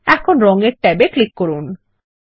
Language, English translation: Bengali, Lets click on the Colors tab